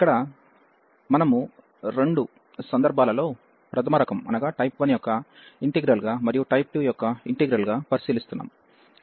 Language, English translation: Telugu, So, here we are considering both the cases the integral of type 1 as well as integral of type 2